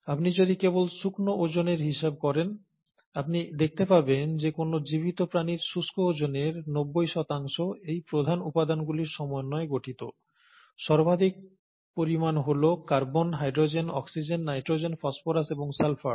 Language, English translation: Bengali, But if you were to just account for the dry weight, you’ll find that the ninety percent of a dry weight of any living being essentially consists of these major elements – the most abundant being the carbon, hydrogen, oxygen, nitrogen, phosphorous and sulphur